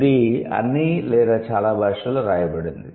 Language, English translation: Telugu, It's written in all or most languages